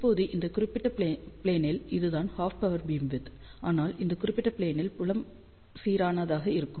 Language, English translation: Tamil, Now, this is half power beamwidth in this particular plane, but in this particular plane field will be uniform